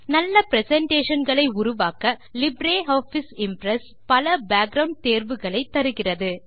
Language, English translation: Tamil, LibreOffice Impress has many background options that help you create better presentations